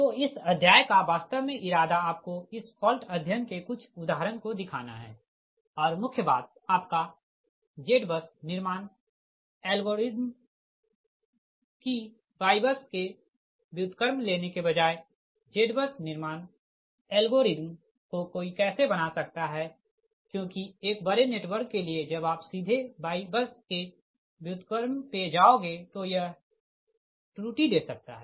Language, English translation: Hindi, so up to this, actually, intention of this chapter is to show you couple of example of this fault studies and main thing is that your z bus building algorithm, that how one can make that z bus building algorithm, rather than taking your y bus inverse, because y bus inverse, if it is for a large network, right computationally, may not be that this thing you have to go for a different algorithm